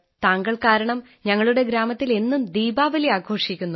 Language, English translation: Malayalam, Sir, Diwali is celebrated every day in our village because of you